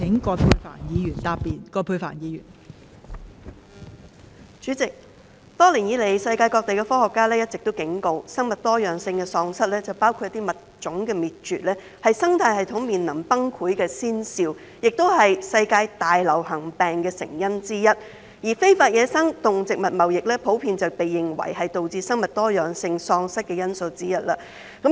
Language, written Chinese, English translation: Cantonese, 代理主席，多年以來，世界各地的科學家都一直警告，生物多樣性喪失，包括物種滅絕，是生態系統面臨崩潰的先兆，亦是世界大流行病的成因之一，而非法野生動植物貿易普遍被認為是導致生物多樣性喪失的原因之一。, Deputy President scientists from all over the world have been warning for years that biodiversity loss including the extinction of species is a precursor of ecological collapse and a cause of pandemics in the world . Illegal wildlife trade is widely recognized as one of the causes of biodiversity loss